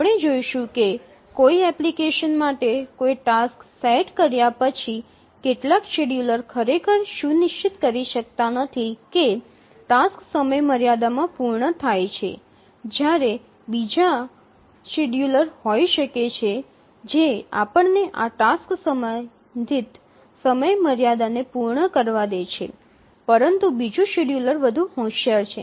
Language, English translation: Gujarati, We will see that given a task set for an application some scheduler cannot really ensure that the tasks meet deadline whereas there may be another scheduler which lets these tasks set to meet the respective deadlines